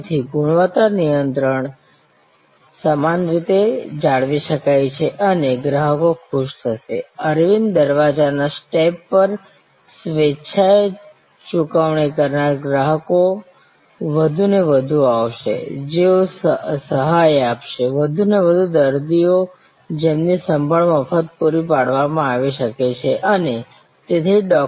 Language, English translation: Gujarati, So, therefore, quality control can be uniformly maintained and customers will be happy, there will be willingly paying customers coming at Aravind door step more and more, who will subsidize, more and more patients whose care can be provided therefore, free of charge and that is why to Dr